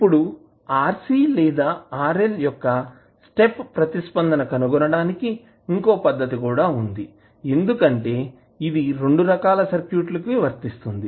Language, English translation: Telugu, Now, there is an alternate method also for finding the step response of either RC or rl because it is applicable to both of the types of circuits